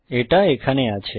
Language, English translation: Bengali, It is here